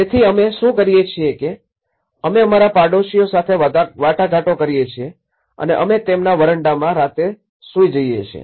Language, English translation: Gujarati, So, what we do is we negotiate with our neighbours and they sleep on the nights in their verandas